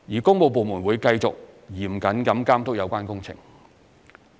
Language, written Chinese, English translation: Cantonese, 工務部門會繼續嚴謹地監督有關工程。, The works departments will continue to monitor closely the contracts concerned